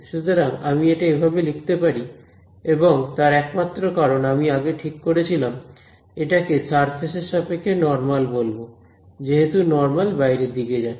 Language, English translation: Bengali, So, I can write this as ok, and only reason is because I had earlier decided to call the normal to this surface as this normal going outward is in this direction